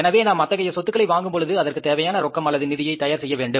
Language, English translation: Tamil, So, when you purchase these assets, you have to arrange the cash for that or you have to arrange the funds for that